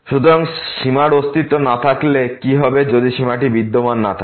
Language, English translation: Bengali, So, what will happen for the Non Existence of a Limit if the limit does not exist for